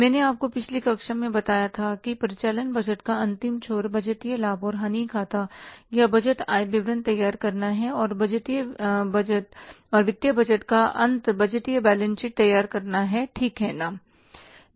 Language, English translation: Hindi, I told you in the previous class that the final end of the operating budget is preparing the budgeted profit and loss account or the budgeted income statement and the end of the financial budget is preparing the budgeted balance sheet